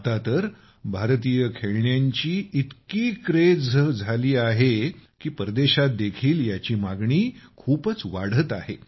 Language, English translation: Marathi, Nowadays, Indian toys have become such a craze that their demand has increased even in foreign countries